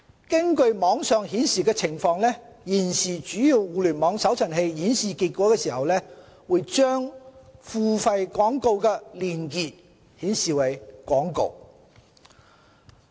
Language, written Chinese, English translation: Cantonese, 根據網上顯示的情況，現時主要互聯網搜尋器顯示結果的時候，會把付費廣告的連結顯示為廣告。, From what we observed on the Internet links to paid advertisements are labelled as advertisement when search results are displayed on major Internet search - engines